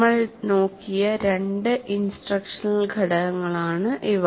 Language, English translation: Malayalam, These are the two instructional components that we looked at